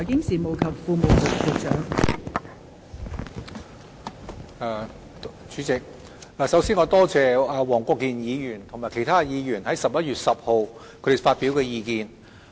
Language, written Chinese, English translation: Cantonese, 代理主席，首先，我感謝黃國健議員及其他議員於11月10日發表的意見。, Deputy President first of all I thank Mr WONG Kwok - kin and the other Members for their views expressed on 10 November